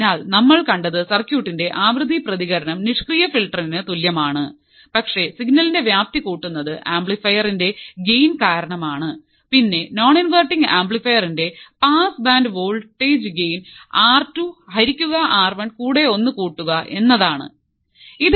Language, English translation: Malayalam, So, what we have seen is the frequency response of the circuit is same as that of the passive filter; however, the amplitude of signal is increased by the gain of the amplifier and for a non inverting amplifier the pass band voltage gain is 1 plus R 2 by R 1 as we already talked about and that is the same for the low pass filter